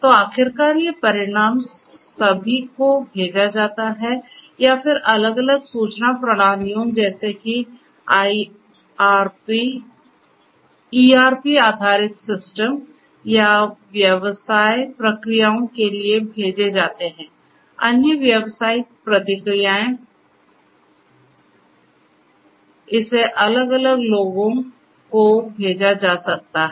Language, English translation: Hindi, So, finally, these results are going to be all sent to either different other information systems like ERP based systems or business processes other business processes it could be sent or to different people